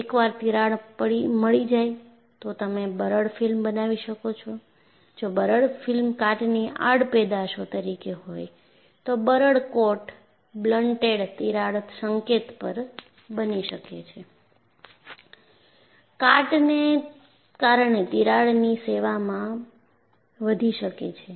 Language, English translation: Gujarati, Once, you have a crack, you can have a brittle film formed; if the brittle film is a by product of corrosion, then a brittle coat may form at the blunted crack tip, and the crack may grow in service, due to corrosion